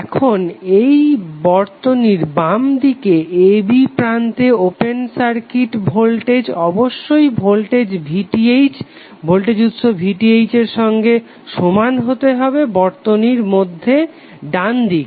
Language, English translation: Bengali, Now this open circuit voltage across the terminal a b in the circuit on the left must be equal to voltage source VTh in the circuit on the right